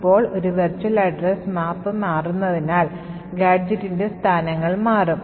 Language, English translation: Malayalam, Now, since a virtual address map changes, the locations of the gadget would change